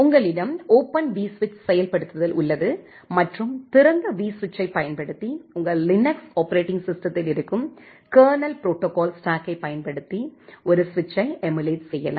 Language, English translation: Tamil, You have that Open vSwitch implementation and using Open vSwitch you can emulate a switch using the kernel protocol stack which is there in your Linux operating system